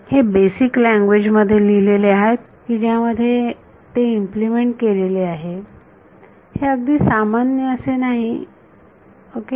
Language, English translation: Marathi, It is written in the basic language in which it have implemented it, is something which is not very common ok